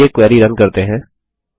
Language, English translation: Hindi, Now let us run the query